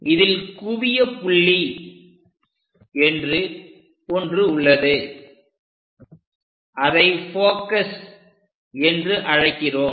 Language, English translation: Tamil, In this ellipse, there is a focal point which we are calling focus